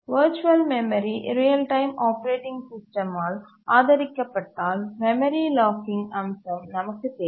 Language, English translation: Tamil, If virtual memory is supported by a real time operating system then we need the memory locking feature